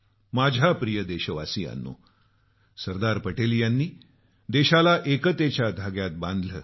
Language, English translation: Marathi, My dear countrymen, Sardar Patel integrated the nation with the thread of unison